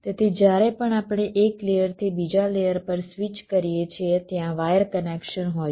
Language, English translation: Gujarati, so whenever we switch from one layer to another layer, there is a wire connection